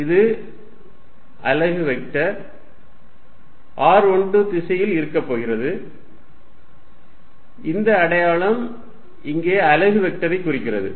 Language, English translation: Tamil, It is going to be in the unit vector r 1 2 direction, this hat here denotes the unit vector